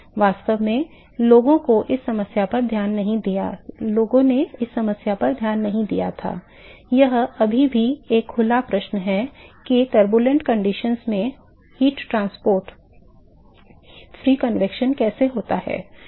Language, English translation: Hindi, In fact, the people had not looked at this problem it is still an open question as to how heat transport occurs under turbulent conditions free convection